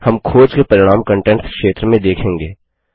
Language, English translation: Hindi, We will see the results of the search in the contents area